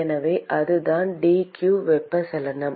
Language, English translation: Tamil, So, that is the d q convection